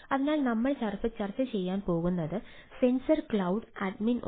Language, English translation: Malayalam, so, as we are ah discussing, so there are sensor cloud admin